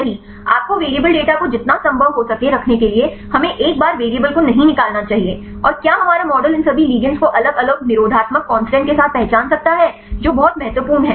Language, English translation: Hindi, We should not a remove the variable once you know to keep as much as possible the variables data, and whether our model could identify all these a ligands with different inhibitory constant right that is very important